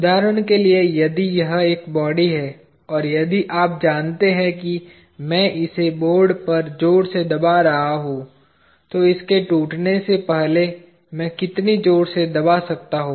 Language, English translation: Hindi, For an example if this is a body, and if I am you know pressing it hard on the board, how much hard can I go before this breaks